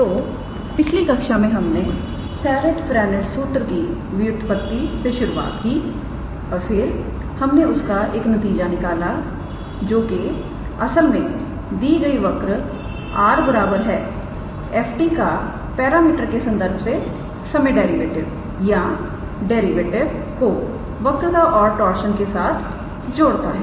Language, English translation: Hindi, So, in the last class we started with derivation of Serret Frenet formula and then we derived a result which actually connects the time derivative or the derivative with respect to the parameter of a given curve r is equals to f t its with curvature and torsion